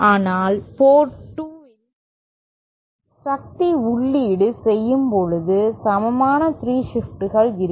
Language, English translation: Tamil, But when power is inputting say port 2, there will be equal 3 shifts